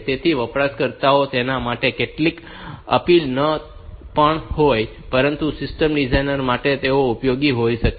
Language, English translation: Gujarati, So, they may not have that much appeal, but for system designers, they may be useful